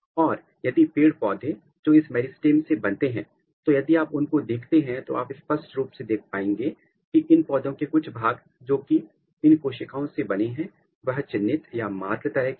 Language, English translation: Hindi, And, if plants which are coming from this meristem, if you look them you can clearly see that some regions of these plants which are coming from these cells they are the marked one